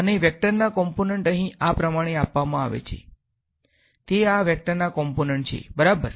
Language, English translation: Gujarati, And the components of the vector are given by these amounts over here; those are the components of this vector ok